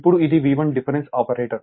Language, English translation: Telugu, Now, if V 1 it is difference operator